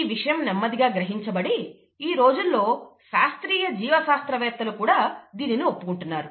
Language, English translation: Telugu, More and more, that is being realized more and more even by classical biologists nowadays